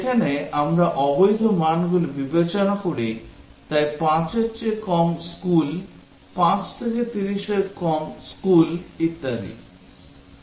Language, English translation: Bengali, Where, we consider the invalid values, so less than school less than 5, less than school between 5 to 30 and so on